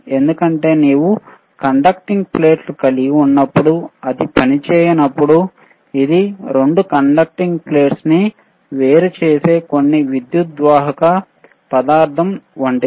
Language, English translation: Telugu, bBecause you have a conducting plate, you have a conducting plate when, when it is not operating, it is is like a 2 conducting plates separated by some material by some dielectric material